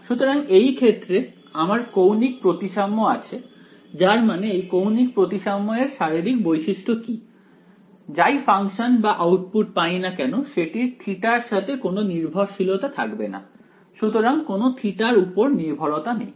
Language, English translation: Bengali, So, in this case, we have angular symmetry which means that the what is the physical significance of angular symmetry is that whatever function or output I get will not have any theta dependence right; so no theta dependence